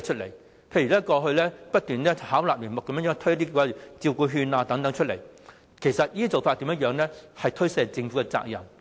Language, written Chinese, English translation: Cantonese, 例如過去不斷巧立名目的推行照顧服務券等，這些做法其實顯示了政府是在推卸責任。, For example the Government was trying to shirk its responsibilities by constantly launching care vouchers and other initiatives under tactfully - concocted pretexts in the past